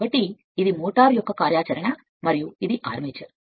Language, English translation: Telugu, So, this is the motor in operation and this is the armature